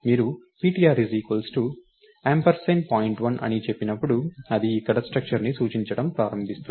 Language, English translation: Telugu, The moment you say ptr is ampersand of point1, it would start pointing to the structure here